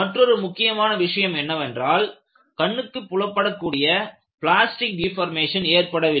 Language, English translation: Tamil, The other significant observation is no visible plastic deformation was observed